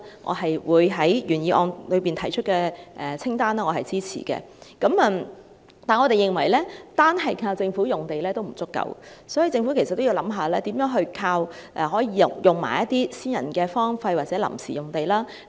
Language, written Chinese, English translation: Cantonese, 我對於原議案提出政府土地清單的建議表示支持，但我們認為單靠政府用地並不足夠，所以政府也要考慮如何運用私人荒廢或臨時用地。, I support this suggestion of providing a list of Government lands in the original motion . But we think that it is not enough to use Government land alone the Government should also consider making use of private wasteland or temporary land